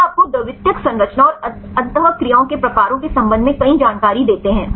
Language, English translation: Hindi, They give you several information regarding on secondary structure and the types of interactions right and so on